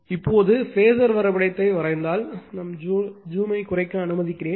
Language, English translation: Tamil, Now,now if you if you look at the phasor diagram let us let me let me reduce the zoom , right